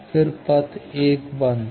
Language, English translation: Hindi, Then, path 1 is closed